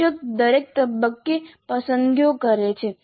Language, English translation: Gujarati, So the teacher makes the choices at every stage